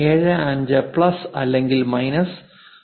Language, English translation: Malayalam, 75 plus or minus 0